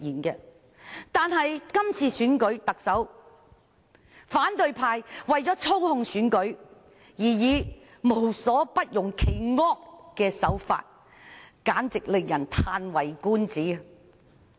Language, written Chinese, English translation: Cantonese, 然而，在是次特首選舉中，反對派為操控選舉無所不用其惡，令人嘆為觀止。, However in this Chief Executive Election the opposition camp has used all the unscrupulous means to manipulate the election leaving people gasp with astonishment